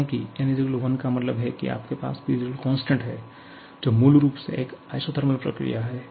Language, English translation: Hindi, Because n = 1 means you have PV = constant which basically is an isothermal process now